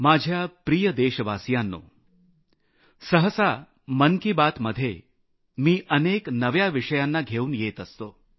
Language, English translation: Marathi, My dear countrymen, generally speaking, I touch upon varied subjects in Mann ki Baat